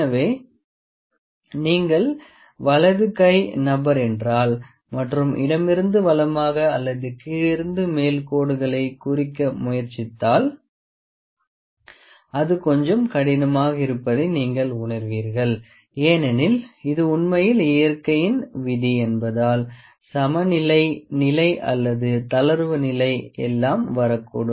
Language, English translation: Tamil, So, if your right handed person and try to mark straight lines from right to left or from bottom to top, you will see that it will be a little difficult because we are habitual or our body is habitual not habitual, it is actually the rule its rule of nature only that everything would be likely to come into the equilibrium position or the relax position